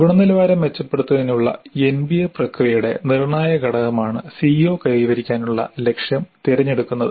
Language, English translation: Malayalam, This selecting the target for CO attainment is again a crucial aspect of the NBA process of quality improvement